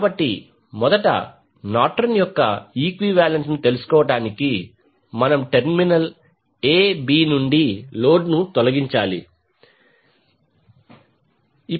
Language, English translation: Telugu, So, to find out the Norton’s equivalent first we need to remove the load from terminal a b